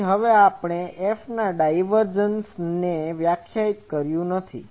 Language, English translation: Gujarati, So, minus or now, we have not defined the divergence of F